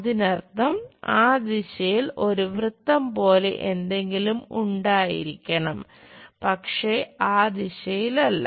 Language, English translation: Malayalam, That means, there must be something like circle in that direction, but not in that direction